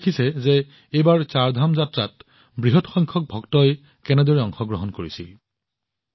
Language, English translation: Assamese, You must have seen that this time a large number of devotees participated in the Chardham Yatra